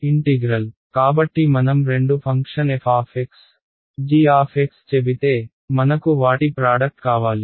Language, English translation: Telugu, Integral right so if I say two functions say f of x and g of x I want their product right